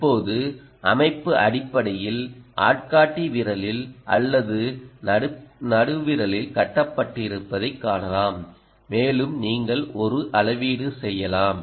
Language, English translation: Tamil, now you can see that the system essentially is strap to either the index finger or the middle finger and ah, you can make a measurement